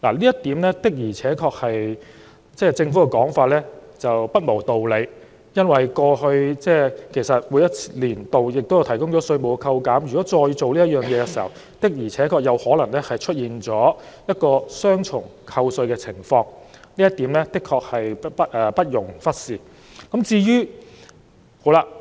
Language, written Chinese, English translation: Cantonese, 就此，政府的說法確實不無道理，因為在過往每個年度，政府也有提供稅務扣減，如果今年作出以上安排，確實可能會出現雙重扣稅的情況，這一點不容忽視。, And will this distort the basis of tax assessment? . In this regard the Governments response is truly not without grounds because in each of the past year of assessments the Government also offered tax concessions . If the above arrangement is introduced this year there will indeed be double deduction of taxes which should not be neglected